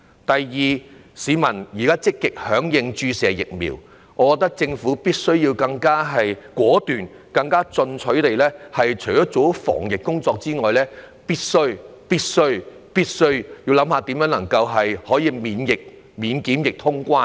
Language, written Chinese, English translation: Cantonese, 第二，市民現時積極響應注射疫苗。我覺得政府必須更果斷、更進取，除做好防疫工作外，必須研究如何能夠免檢疫通關。, Second as members of the public are now actively responding to the appeal for vaccination I think that the Government should be more decisive and aggressive . Apart from its anti - epidemic efforts the Government should also explore the feasibility of quarantine - free traveller clearance